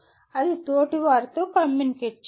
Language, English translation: Telugu, That is communicating with peers